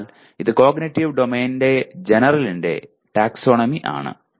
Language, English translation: Malayalam, So it is taxonomy of cognitive domain general